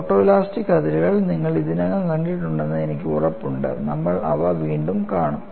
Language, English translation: Malayalam, I am sure you have already seen the photoelastic fringes; we would see them again